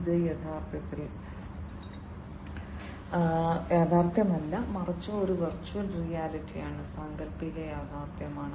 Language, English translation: Malayalam, It is something that is not real in fact, but is a virtual reality imaginary reality